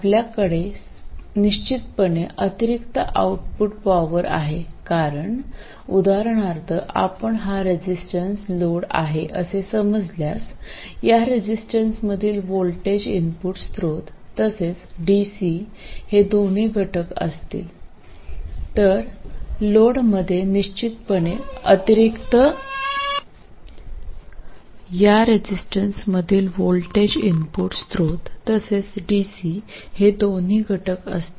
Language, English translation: Marathi, You will surely have an additional output power because the voltage across this, for instance if you consider this load as a resistor, the voltage across this will have components from the input source as well as the DC